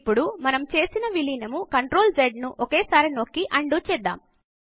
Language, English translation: Telugu, Now let us undo the merging we did by clicking by pressing CTRL+Z together